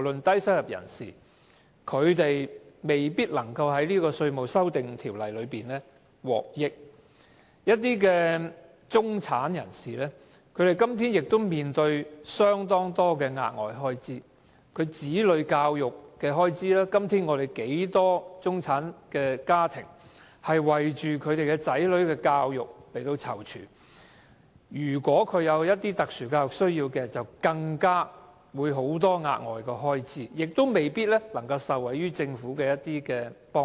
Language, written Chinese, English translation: Cantonese, 低收入人士未必能夠受惠於《條例草案》，而一些中產人士現時亦面對很多額外開支，包括子女教育的開支，很多中產家庭都要為子女的教育躊躇，而有特殊教育需要的額外開支尤其多，但他們卻未必能夠受惠於政府的幫助。, While low - income earners may not be able to benefit from the Bill many middle - class people are now bearing many additional expenses including the expenditure on childrens education . Many middle - class families have to plan for their childrens education and families with children having special education needs may incur even more additional expenses but the assistance provided by the Government may not benefit them at all